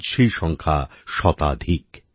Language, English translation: Bengali, Today their number is more than a hundred